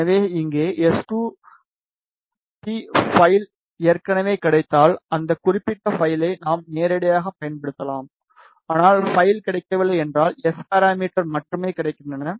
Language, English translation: Tamil, So, here if the S2p file is already available, we can directly use that particular file, but if the file is not available, only S parameters are available